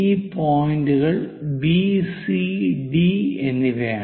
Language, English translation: Malayalam, So, let us name this point C and D